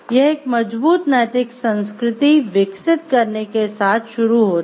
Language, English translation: Hindi, So, first it starts with developing a strong ethics culture